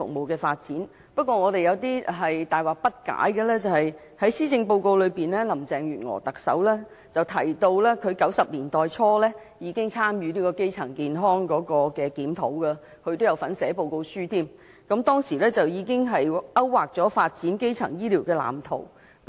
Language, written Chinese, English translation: Cantonese, 可是，有一點我們大惑不解。在施政報告內，特首林鄭月娥提到她在1990年代初已參與基層醫療檢討，更有份撰寫報告書，當時該報告已勾劃了發展基層醫療的藍圖。, However what we found most baffling was that Chief Executive Carrie LAM mentioned in the Policy Address that she had participated in the review on primary health care in the early 1990s and taken part in drafting the report which drew up a blueprint for the development of primary health care